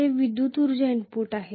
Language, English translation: Marathi, That is electrical energy input